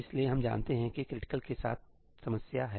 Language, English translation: Hindi, So, we know that there is a problem with critical